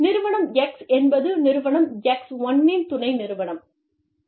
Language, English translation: Tamil, Firm X1, is a subsidiary of, Firm X